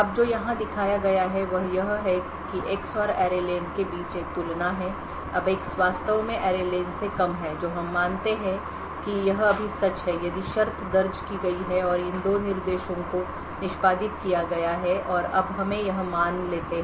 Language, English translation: Hindi, Now what the showed here is that there is a comparison between X and the array len now if X is indeed lesser than the array len which we assume is true right now then if condition is entered and these two instructions are executed and now let us assume this is the case right now